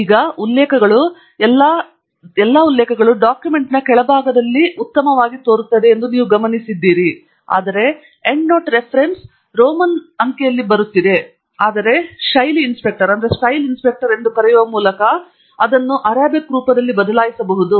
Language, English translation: Kannada, And now, you notice that the references have all come nicely at the bottom of the document, but then, the Endnote Reference is coming in the Roman letter but we could change it to the Arabic format by using what is called as the Style Inspector